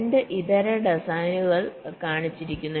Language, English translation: Malayalam, so two alternate designs are shown